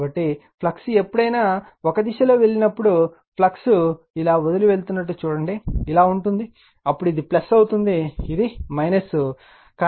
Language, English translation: Telugu, So, whenever flux I mean whenever you take in a direction, you see that flux is leaving like this, then this will be your plus, this is minus for analogous